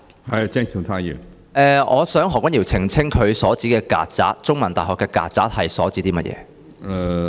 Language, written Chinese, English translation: Cantonese, 我想何君堯議員澄清他提到香港中文大學的曱甴所指為何？, I would like Dr Junius HO to clarify what he was referring to when he mentioned the cockroaches of CUHK